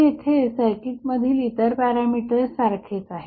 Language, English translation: Marathi, So, what happens now, the other parameters of the circuits are same